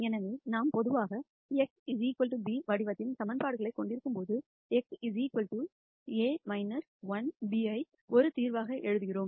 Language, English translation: Tamil, So, when we typically have equations of the form a x equal to b, we write x equals A inverse b as a solution